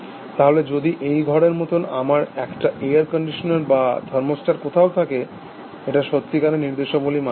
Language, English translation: Bengali, So, but if I have a air conditional like in this room or thermostats somewhere, it is not really following instructions